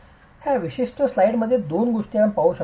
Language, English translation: Marathi, So, in this particular slide there are two things that we can look at